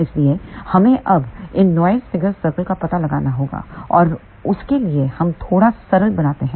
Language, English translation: Hindi, So, we have to now find out the noise figure circle for that we do little simplification